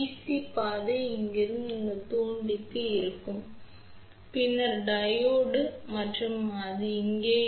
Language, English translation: Tamil, So, the path for dc will be from here to to this inductor, then Diode and it will be right over here ok